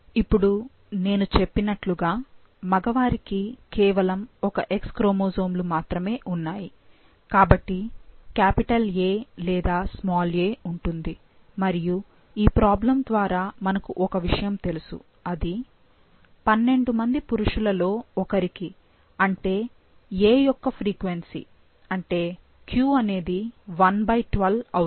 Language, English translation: Telugu, Now, as I told, for male, so there is only one X chromosomes, so either there will be capital A or small a and from the problem we know that 1 in 12 males that is the frequency of “a” and if I say that is q it is 1 by 12